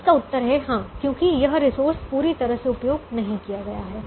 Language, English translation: Hindi, the answer is yes, because this resource is not fully utilized